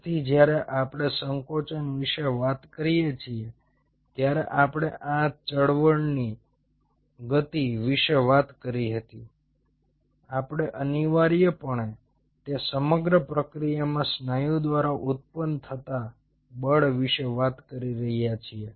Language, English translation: Gujarati, so when we talk about the contraction we talked about the speed of this movement we are essentially talking about the force being generated by the muscle in that whole process